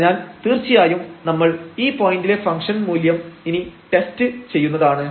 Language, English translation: Malayalam, So, definitely we will test at this point what is the value of the function later on